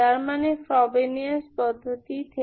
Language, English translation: Bengali, That is from the Frobenius method